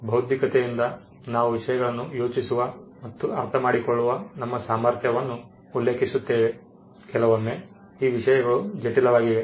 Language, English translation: Kannada, By being intellectual, we referred to our ability to think and understand things, sometimes these things are complicated